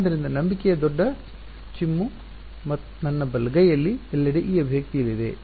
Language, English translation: Kannada, So, the big leap of faith is going to be that everywhere in my right hand side this expression over here